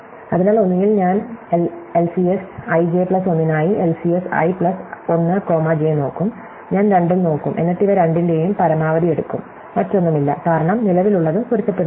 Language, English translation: Malayalam, So, either I will look at LCS i plus 1 comma j or LCS i j plus 1, I will look at both and then I take the maximum of these two and there is no other thing, because the current word not does not match